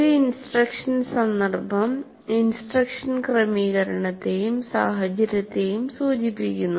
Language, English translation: Malayalam, So an instructional context refers to the instructional setting and environment